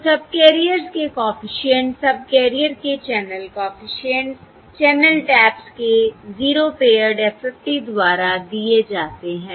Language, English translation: Hindi, So the coefficients of the subcarrier channel coefficients of the subcarriers are given by the 0 pared FFT of the channel taps